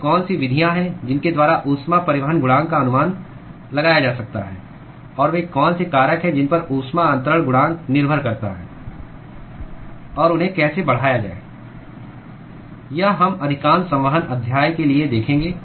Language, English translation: Hindi, What are the methods by which heat transport coefficient can be estimated; and what are the factors on which the heat transfer coefficient depends upon; and how to increase them is what we will see for most of the convection chapter